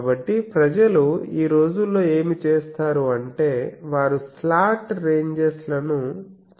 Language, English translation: Telugu, So, people nowadays what they do, so they make the slant ranges